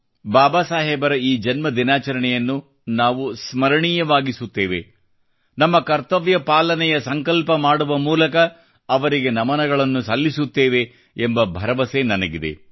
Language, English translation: Kannada, I am sure that we will make this birth anniversary of Babasaheb a memorable one by taking a resolve of our duties and thus paying tribute to him